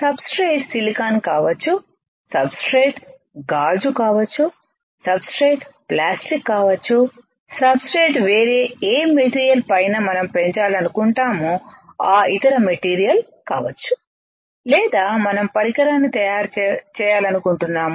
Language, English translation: Telugu, The substrate can be silicon, substrate can be glass, substrate can be plastic, substrate can be any other material on which we want to grow or we want to fabricate our device alright